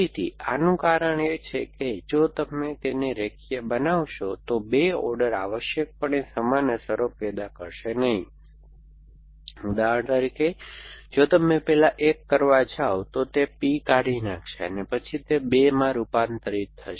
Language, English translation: Gujarati, Again, the reason for this is, that if you got to linearise them then the 2 orders will not produce the same effects essentially, for example if you going to do a 1 first then it would delete P and then it convert to a 2 after that you could do a 2 first and a 1 afterwards